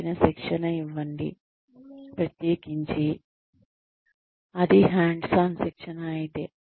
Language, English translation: Telugu, Provide adequate practice, especially, if it is hands on training